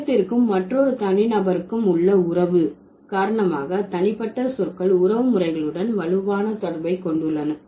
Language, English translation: Tamil, So because of this relation between self and another individual, the personal pronouns, they have strong connection with the kinship terms